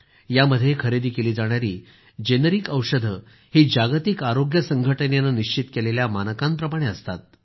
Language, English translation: Marathi, Generic medicines sold under this scheme strictly conform to prescribed standards set by the World Health Organisation